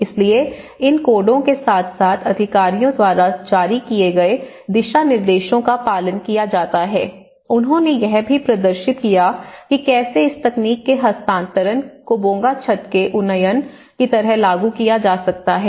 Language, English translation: Hindi, So, following these codes as well as the guidelines which has been issued by the authorities, so they also demonstrated that how the transfer of this technology can be implemented like the upgradation of the Bonga roof